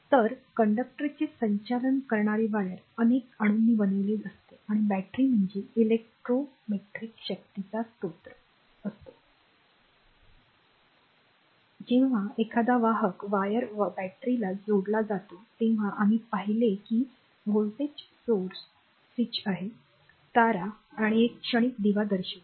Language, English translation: Marathi, So, conductor conducting wire consist of several atoms and a battery is a source of electrometric force, when a conducting wire is connected to a battery the very fast example what we saw that voltage source is switch, conducting wires and a transient lamp right